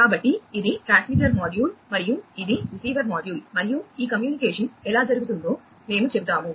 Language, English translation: Telugu, So, this is the transmitter module and this is the receiver module and we will show that how this communication is taking place